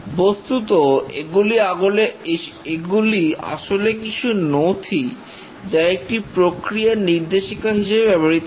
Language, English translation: Bengali, These are basically sets of documents which are guidelines for the process